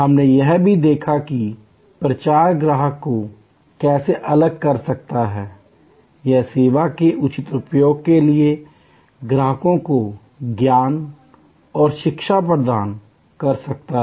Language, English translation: Hindi, We also looked at how promotion can calibrate, the customer expectation or can provide knowledge and education to the customer for proper utilization of the service